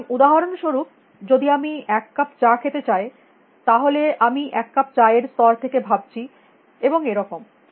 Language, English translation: Bengali, So, for example, if I want to drink a cup of tea, then I am thinking at a level about cup of tea and so on and so forth